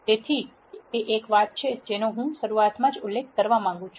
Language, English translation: Gujarati, So, that is one thing that I would like to mention right at the beginning